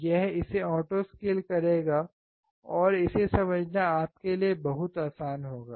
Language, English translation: Hindi, It will auto scale it and it will be very easy for you to understand